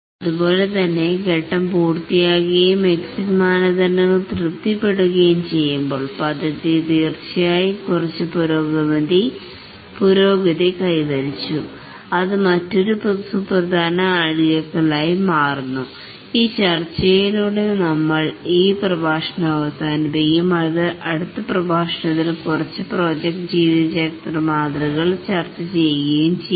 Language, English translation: Malayalam, When there is a phase starts after the phase entry criteria has been met an important milestone is met similarly when the phase completes and the exit criteria are satisfied the project definitely has made some progress and that forms another important milestone with this discussion we will conclude this lecture and in the next lecture we will discuss a few project lifecycle models